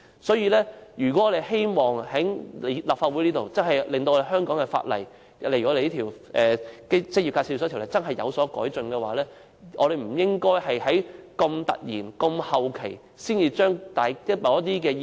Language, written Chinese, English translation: Cantonese, 所以，如果我們真的希望在立法會促使香港的法例及這項有關職業介紹所的條例有所改進，便不應該在這麼後期才突然提出某些意見。, We wish to seek justice for the people of Hong Kong . Hence if we really wish to facilitate improvement in the Hong Kong laws and in this ordinance relating to employment agencies in the Legislative Council we should not suddenly raise a certain view in the last minute